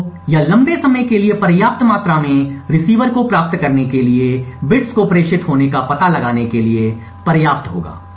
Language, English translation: Hindi, So, this would be long enough to procure the receiver sufficient amount of time to actually detect bits being transmitted